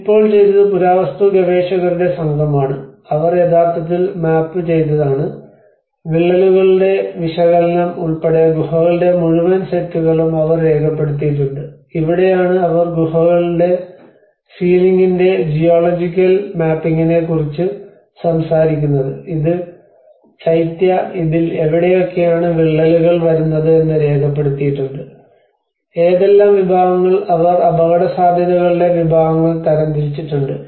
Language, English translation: Malayalam, \ \ Now, what they did was the archaeologists team they have actually mapped down, they have actually documented the whole set of caves including the analysis of the cracks this is where they talk about a geological mapping of the ceiling of the caves and this is one of the Chaitya where they have documented where are the cracks coming into it, what are the categories, they have classified the categories of the risk